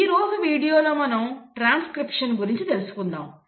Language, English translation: Telugu, For this video we will stick to transcription